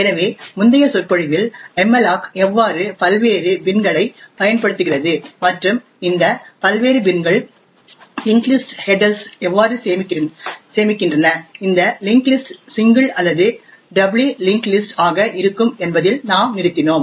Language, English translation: Tamil, So in the previous lecture we stopped off at how malloc uses the various bins and how these various bins store linked lists headers and this link list to be either single or doubly linked lists